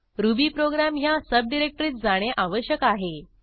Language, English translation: Marathi, We need to go to the subdirectory rubyprogram